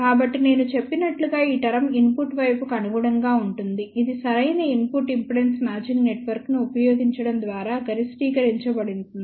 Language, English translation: Telugu, So, as I mentioned this term corresponds to the input side, which can be maximized by using proper input impedance matching network